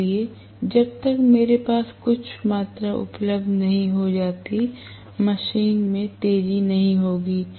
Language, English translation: Hindi, So, unless I have some amount of access available the machine is not going to accelerate